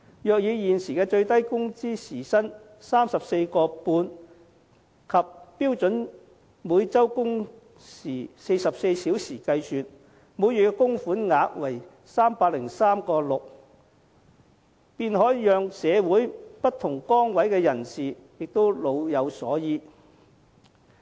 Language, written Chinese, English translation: Cantonese, 如以現時最低工資時薪 34.5 元及每周標準工時44小時計算，每月供款額為 303.6 元，便可讓社會上不同崗位的人士也老有所依。, On the basis of the existing minimum wage at an hourly rate of 34.5 and the number of standard working hours at 44 per week a monthly contribution of 303.6 will serve to give people in different positions in society a sense of security when they grow old